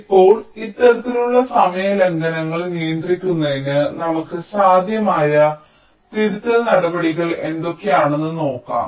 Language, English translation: Malayalam, now here we shall be looking at what are the possible corrective steps we can take in order to control these kind of timing violations